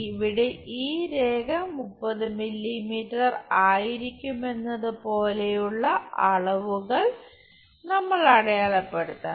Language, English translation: Malayalam, Here we just have to mark the dimensions like this line will be 30 mm